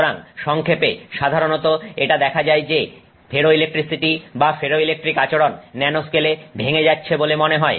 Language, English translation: Bengali, So, in summary, generally it has been seen that ferroelectricity or ferroelectric behavior typically seems to break down in nanoscale